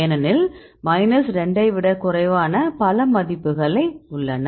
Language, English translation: Tamil, For example, if you see minus 2 to minus 1